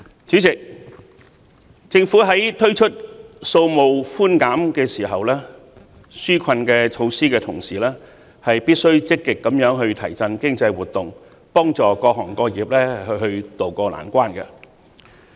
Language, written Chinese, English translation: Cantonese, 主席，政府在推出稅務寬減紓困措施的同時，必須積極提振經濟活動，幫助各行各業渡過難關。, President apart from granting tax reliefs the Government should also actively stimulate the economy to help different industries ride out of the storm